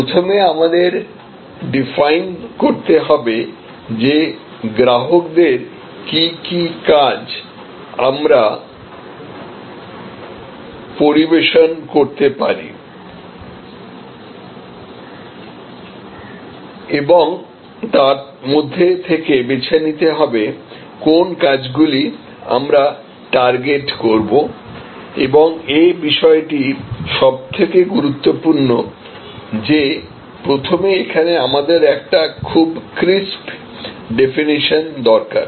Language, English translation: Bengali, So, once we define that what customers do we serve now and which ones we want to target and this is the very, it is the requirement that initially we have a very crisp definition here